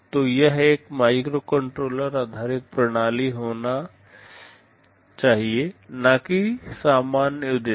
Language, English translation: Hindi, So, it should be a microcontroller based system and not general purpose